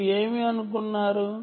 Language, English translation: Telugu, you assumed that it is a